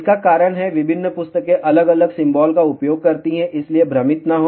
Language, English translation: Hindi, The reason is different books use different symbol ok, so do not get confused